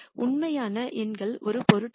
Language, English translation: Tamil, The actual numbers do not matter